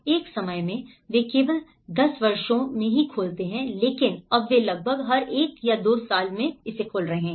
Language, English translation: Hindi, Once upon a time, they used to open only in 10 years but now they are opening almost every 1 or 2 years